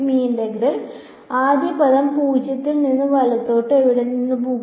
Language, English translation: Malayalam, This integral will go from where to where the first term 0 to delta right